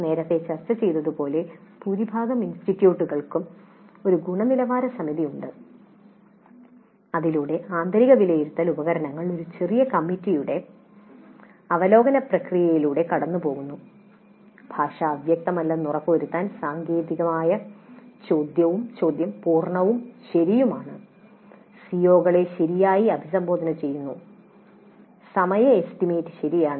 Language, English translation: Malayalam, And as we discussed earlier, most of the institutes do have a quality assurance scheme whereby the internal assessment instruments go through a process of review by a small committee to ensure that the language is unambiguous the technically the question is complete and correct